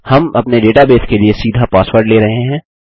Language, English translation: Hindi, We would be taking a password straight for our database